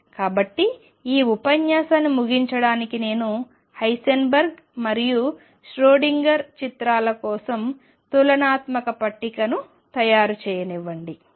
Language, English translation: Telugu, So, to conclude this lecture let me just make a comparative table for Heisenberg and Schrödinger picture